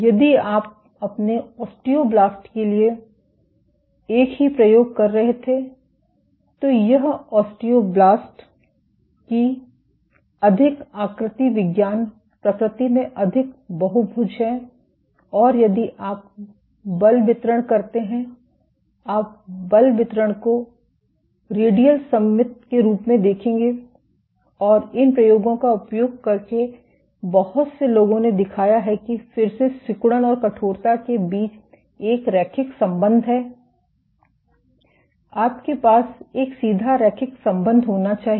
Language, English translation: Hindi, If you were doing the same experiment for your osteoblasts, so which is a more the morphology of an osteoblasts is more polygonal in nature and if you do the force distribution, you would see the force distribution as radially symmetric and using these experiments a lot of people have shown that again that there is a linear relationship between contractility and stiffness; you should have a straight linear relationship